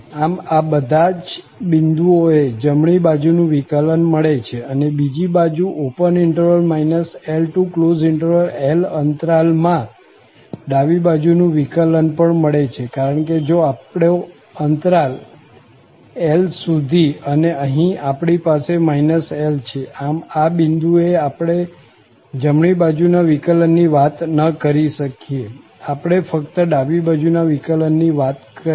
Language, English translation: Gujarati, So, at all these points, the right hand derivative should exists and on the other hand, in this interval minus L open to the close L, the left hand derivative should exists because, if our interval is upto L and here, we have minus L, so at this point, we cannot talk about the right derivative, we can only talk about the left derivative